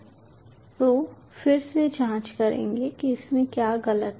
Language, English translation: Hindi, so will again check what is wrong with it